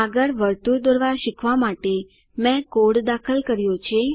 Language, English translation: Gujarati, Next I have entered the code to learn to draw a circle